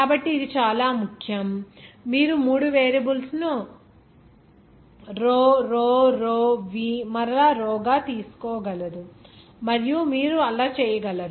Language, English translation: Telugu, So this is very important you cannot I told that you cannot repeatedly three variables to be taken as row row row v again row and you cannot do that